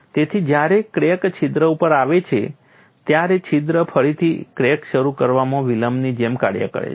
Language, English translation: Gujarati, So, when the crack comes to a hole, the hole acts like a delay in rickrack initiation